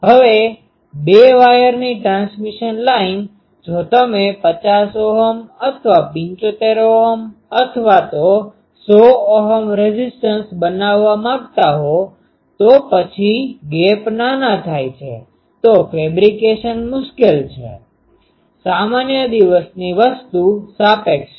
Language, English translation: Gujarati, Now, two wire transmission line; if you want to make a 50 Ohm or 75 Ohm or even 100 Ohm impedance, then the gaps are show narrow that it is difficult to fabricate with normal day thing